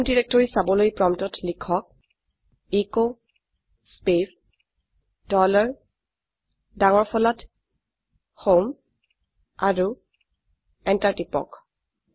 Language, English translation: Assamese, To see the home directory type at the prompt echo space dollar HOME and press enter